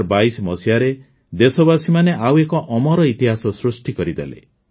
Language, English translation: Odia, In 2022, the countrymen have scripted another chapter of immortal history